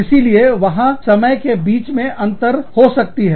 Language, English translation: Hindi, So, there could be a lapse, between that time